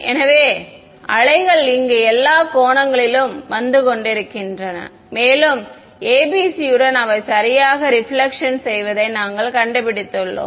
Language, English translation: Tamil, So, waves are coming at all angles over here and we are finding that with ABC’s they get reflected ok